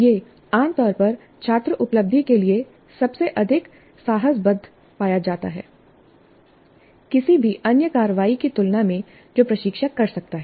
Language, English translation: Hindi, And it is also found to be generally correlated most strongly to student achievement compared to any other action that the instructor can take